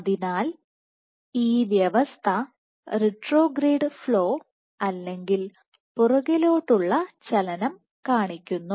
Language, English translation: Malayalam, So, the system retrograde flow, retrograde or backward